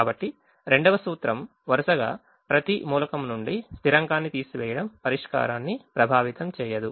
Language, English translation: Telugu, so the second principle is: subtracting a constant from every element in a row will not affect the solution